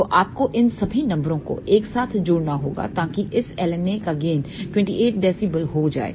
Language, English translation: Hindi, So, you have to add all these numbers together so the gain of this LNA comes out to be 28 dB